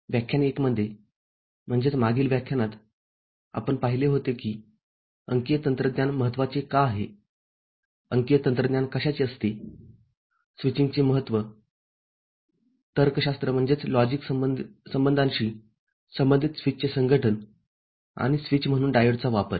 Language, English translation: Marathi, In lecture 1, that is in the previous lecture, we had seen why digital technology is important, what constitutes digital technology, the importance of switching, association of switching with logic relation and use of diode as a switch